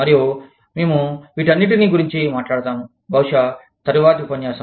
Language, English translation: Telugu, And, we will talk about all this, in probably, the next lecture